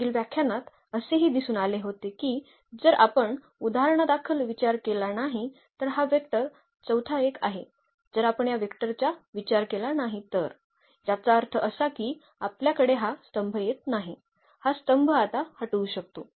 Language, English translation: Marathi, What was also seen in the previous lecture that, if we do not consider for example, this vector the fourth one if we do not consider this vector; that means, we will not have this column here, this column we can delete now